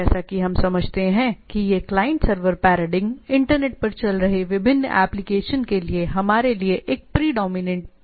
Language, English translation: Hindi, Now this is a as we understand this client server paradigm is a predominant paradigm in our for application different application running over the internet